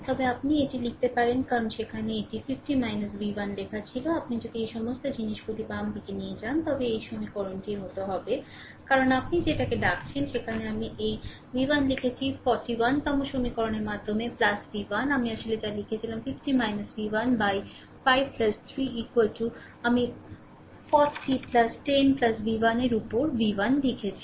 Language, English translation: Bengali, But you can write it because there it was writing 50 minus v 1, if you bring all this things to the left hand side like this, it will equation will be like this, right because ah your what you call there there are what I wrote this v 1 by 10 plus v 1 by 41st equation, what I wrote actually to add 50 minus ah v 1 by 5 plus 3 is equal to I wrote v 1 upon 10 plus v 1 upon 40, right